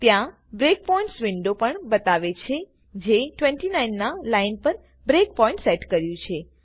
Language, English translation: Gujarati, There is also a Breakpoints window that tells you that a breakpoint has been set on line number 29